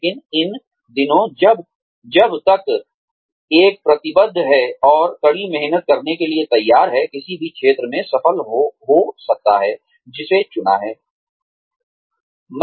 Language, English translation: Hindi, But, these days, as long as, one is committed, and willing to work hard, one can succeed in any field, one chooses